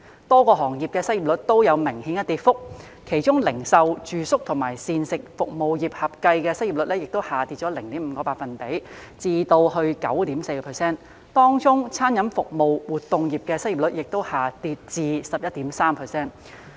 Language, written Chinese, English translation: Cantonese, 多個行業的失業率都有明顯跌幅，其中零售、住宿及膳食服務業合計的失業率下跌 0.5 個百分點至 9.4%， 當中餐飲服務活動業的失業率亦下跌至 11.3%。, The unemployment rates in many sectors have dropped significantly . For instance the combined unemployment rate of the retail accommodation and food services sectors fell by 0.5 percentage point to 9.4 % and among these sectors the unemployment rate of food and beverage service activities fell to 11.3 %